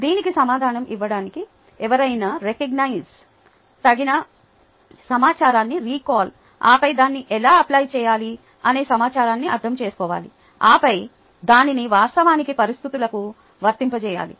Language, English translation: Telugu, to recognize, recall the appropriate information, then must have understood the information, how to apply it and then actually apply it to the situation